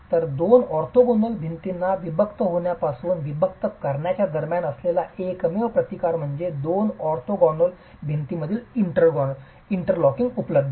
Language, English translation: Marathi, So, the only resistance that is there between separation between the two orthogonal walls from separating is the sheer interlocking available between the two orthogonal walls